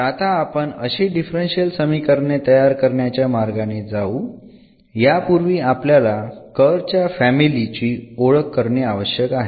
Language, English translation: Marathi, So, that is the how the formation works of this differential equations from a given family of curves